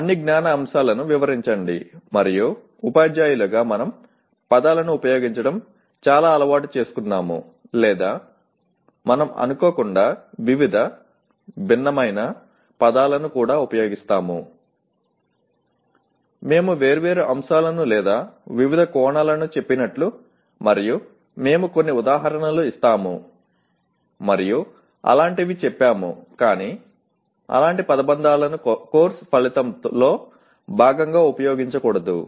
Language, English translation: Telugu, Enumerate all the knowledge elements and as teachers we are quite used to using the words or we inadvertently also use the words various, different; like we say different aspects or various aspects and we give some examples and say such as but such phrases should not be used as a part of course outcome